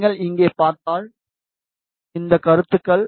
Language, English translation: Tamil, If you see here, these are the comments